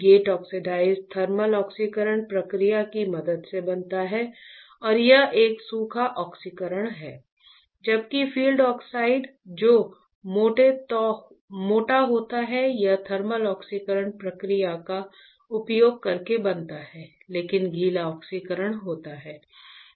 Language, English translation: Hindi, The gate oxide is formed with the help of thermal oxidation process right and that is a dry oxidation while the fill oxide which is thicker is formed using a thermal oxidation process, but wet oxidation